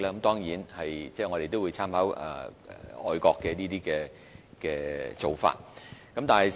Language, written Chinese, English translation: Cantonese, 當然，我們亦會參考外國的做法。, Of course we will also draw reference from overseas practices